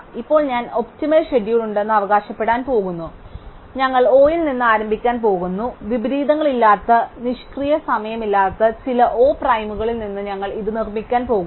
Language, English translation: Malayalam, And now I am going to claim that there is an optimum schedule, we going to start with O and we are going to produce from this some O prime which has no inversions, no idle time